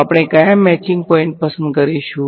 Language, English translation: Gujarati, So, what matching points will we choose